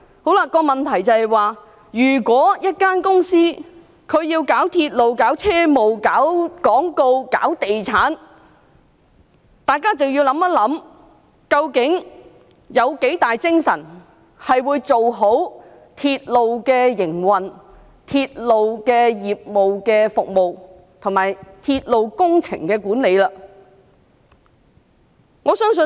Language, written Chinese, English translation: Cantonese, 所以，如果一間公司在處理鐵路業務外，還要處理廣告和地產項目等，大家便要想想，它究竟有多少精力做好鐵路的營運、服務及鐵路工程的管理？, For that reason if a company has to deal with advertisement and property businesses in addition to railway operations we should ponder on the question of how much effort it can make to maintain a satisfactory level of railway operations and services as well as railway project management